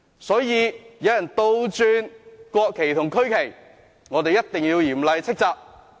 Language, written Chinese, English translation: Cantonese, 所以，有人倒插國旗和區旗，我們一定要嚴厲斥責。, Therefore we must severely reprimand the person who inverted the national and regional flags